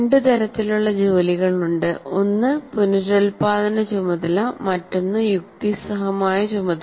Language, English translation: Malayalam, One is reproduction task and the other is a reasoning task